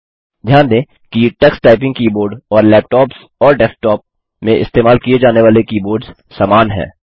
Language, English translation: Hindi, Notice that the Tux Typing keyboard and the keyboards used in desktops and laptops are similar